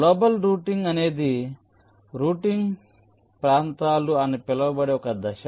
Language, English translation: Telugu, global routing is a step very define something called routing regions